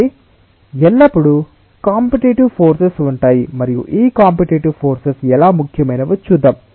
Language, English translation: Telugu, so there are always competitive forces and we will see that, how this competitive forces are important